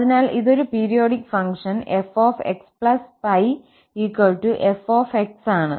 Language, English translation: Malayalam, So, it is a periodic function f is equal to f